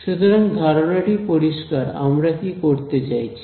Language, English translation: Bengali, So, the idea is clear what we are trying to do